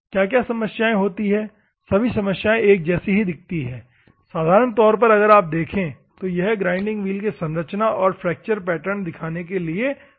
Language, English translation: Hindi, What are the problems all the problems look like, normally if you see here the physical model of the grinding wheel showing the structure and fractures pattern